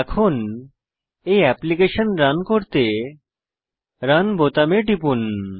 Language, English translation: Bengali, Now let us Run this application by clicking on Runicon